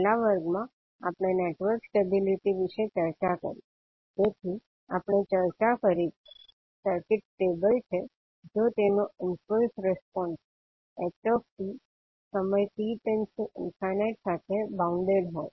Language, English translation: Gujarati, So in the last class we discussed about the network stability, so what we discussed that, the circuit is stable if its impulse response that is ht is bounded as time t tends to infinity